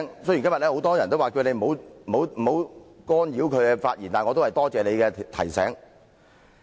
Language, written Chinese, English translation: Cantonese, 雖然今天很多議員都請你不要干擾他們的發言，但我仍然多謝你的提醒。, Today many Members have asked you not to interrupt them when they speak but I still thank you for your reminder